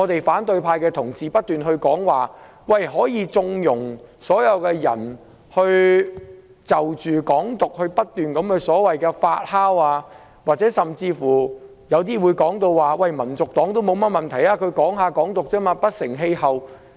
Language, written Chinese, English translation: Cantonese, 反對派議員不斷說可以縱容"港獨"不斷發酵，有些議員甚至說香港民族黨也沒甚麼問題，只是談談"港獨"，不成氣候。, Members of the opposition camp have kept saying that Hong Kong independence can be left to fester; some even said that HKNP is not a problem for the mere talk of Hong Kong independence will not get anywhere